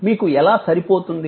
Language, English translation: Telugu, How are you suited